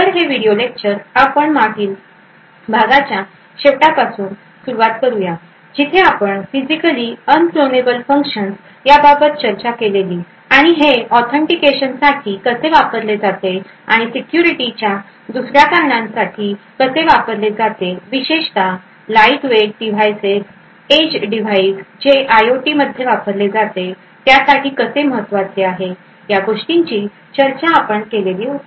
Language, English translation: Marathi, so this video lecture continues from the last one where we spoke about Physically Unclonable Functions and how they could possibly used for authentication and for other security aspects, especially they would be important for lightweight devices like edge devices that are used in IOT